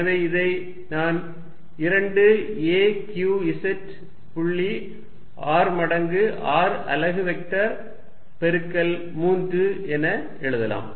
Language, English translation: Tamil, So, I can write this as equal to 2 a q z dot r times unit vector r multiplied by 3 which is nothing but 3 p dot r r